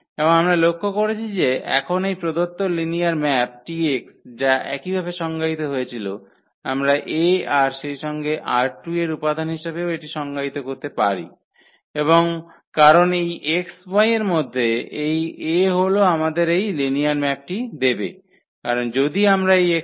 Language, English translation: Bengali, And we note that now that this T x the given linear map here which was defined in this way we can also defined as A and this element of this R 2 because this a into this x y will exactly give us this linear map because if we multiply A with this x y